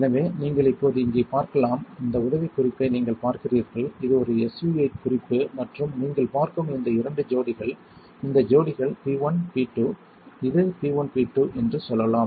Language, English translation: Tamil, So, you can see here now, you see this tip right this is a SU 8 tip and this two pairs that you see are this pairs, let us say P1 P2 this is P1 P2